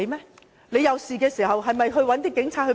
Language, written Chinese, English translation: Cantonese, 大家有事時，還是要找警察協助。, When we are in distress we still have to seek assistance from the Police